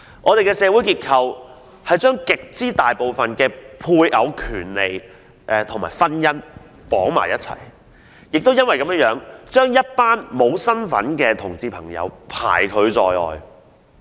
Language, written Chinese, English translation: Cantonese, 我們的社會制度是將絕大部分配偶權利與婚姻捆綁在一起，亦因為如此，一群在法律上沒有身份的同志朋友便被拒諸門外。, Our social institutions actually bundle most of the rights of spouses with marriage and for this reason homosexual couples whose relationship is not recognized under the law are excluded